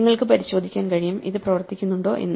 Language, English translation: Malayalam, So, you can check that this works